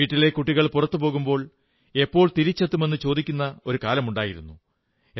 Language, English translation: Malayalam, There was a time when the children in the family went out to play, the mother would first ask, "When will you come back home